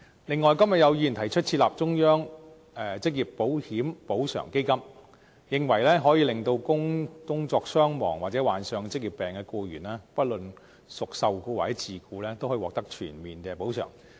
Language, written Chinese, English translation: Cantonese, 另外，今日有議員提出設立"中央職業保險補償基金"，認為可以令工作傷亡或患上職業病的僱員，不論屬受僱或自僱，均可以獲得全面補償。, In addition some Members have proposed to establish a central occupational insurance compensation fund under which they believe both employed and self - employed persons can be fully compensated in the event of injury or death on duty or occupational disease